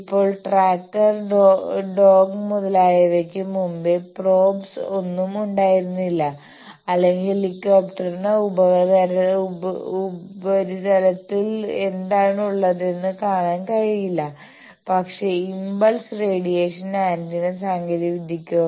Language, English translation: Malayalam, Now, there were no probes before tracker dog, etcetera or helicopter could not see whether, what is there in the sub surface, but with the technology that impulse radiating antenna